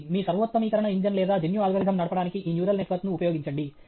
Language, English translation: Telugu, Use this neural network to drive your optimization engine or genetic algorithm